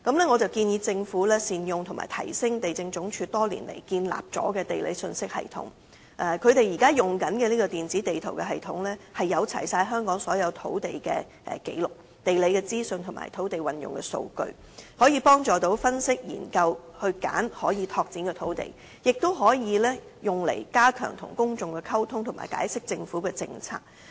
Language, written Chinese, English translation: Cantonese, 我建議政府善用及提升地政總署多年來建立的土地信息系統，現時所用的這個電子地圖系統載有香港所有土地紀錄、地理資訊及土地運用的數據，可以幫助分析研究和選取可拓展土地，亦可用於加強向公眾溝通及解釋政策。, The Government should make good use of and upgrade the land information system established by the Lands Department over the years . The current electronic map system contains all land records geographical information and land use data in Hong Kong . Such information is conducive to analysing and selecting sites available for development as well as enhancing public communication and explaining policies